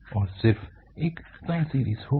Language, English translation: Hindi, It will have only a sine series